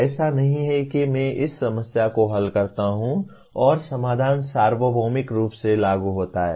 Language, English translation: Hindi, It is not as if I solve this problem and the solution is applicable universally